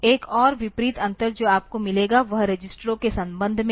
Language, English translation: Hindi, Another contrasting difference that you will find is in terms of the registers